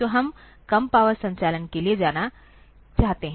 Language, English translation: Hindi, So, we want to go for low power operation